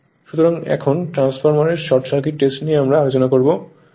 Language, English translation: Bengali, Now, actually in a transformer there now this is the Short Circuit Test